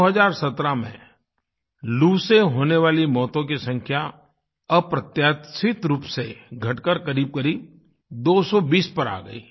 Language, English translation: Hindi, In 2017, the death toll on account of heat wave remarkably came down to around 220 or so